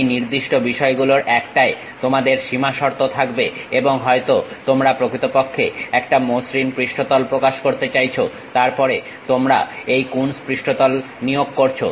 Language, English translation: Bengali, You have boundary conditions on one of these particular things and maybe a surface you would like to really represent a smooth surface, then you employ this Coons surface